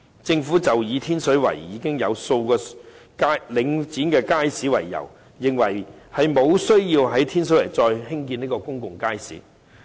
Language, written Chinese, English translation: Cantonese, 政府以天水圍已經有數個領展街市為由，認為沒有需要再在天水圍興建公眾街市。, The Government rejected the need to further provide public markets in Tin Shui Wai on the ground that there are already several markets under Link REIT in Tin Shui Wai